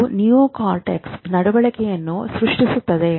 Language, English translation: Kannada, And this neocortex creates behavior